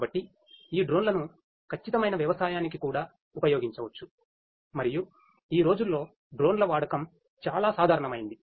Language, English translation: Telugu, So, these drones can also be used for precision agriculture and nowadays use of drones has become very common